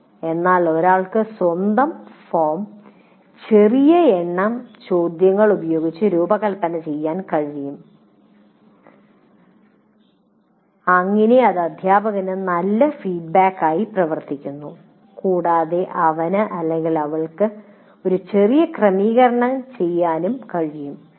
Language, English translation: Malayalam, So one can design one's own form with small number of questions so that it acts as a good feedback to the teacher and he can make minor adjustments accordingly